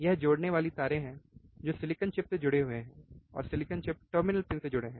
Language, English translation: Hindi, these are connecting wires that are connected heat to the silicon chip, which is connected to the terminal pins